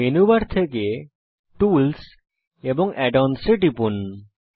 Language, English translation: Bengali, From the menu bar click tools and set up sync